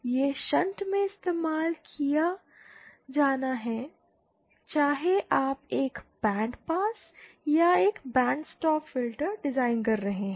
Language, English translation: Hindi, It has to be used in shunt whether you are designing a bandpass or a band stop filter